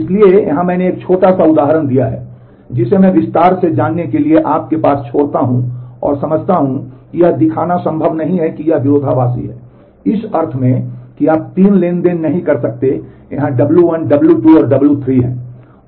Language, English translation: Hindi, So, here I have given a small example which I leave to you to go through in detail and understand where it is not possible to show that it is conflict serializable in the sense you cannot there are 3 transactions here w 1 w 2 and w 3